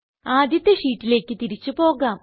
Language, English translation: Malayalam, Lets go back to the first sheet